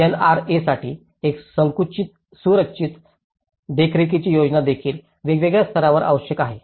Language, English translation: Marathi, A well structured monitoring plan for the NRAs also needed at different levels